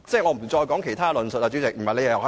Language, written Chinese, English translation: Cantonese, 我現在就其他方面發言。, I will speak on other issues now